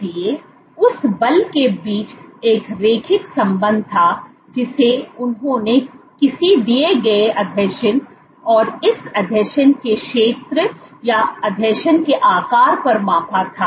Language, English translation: Hindi, So, there was a linear correlation between the force that they measured at a given adhesion and the area of this adhesion or the size of this adhesion, this was roughly linear